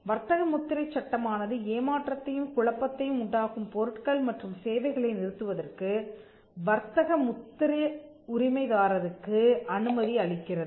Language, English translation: Tamil, Then the trademark law will allow the trademark holder to stop the goods or services that are causing the deception or the confusion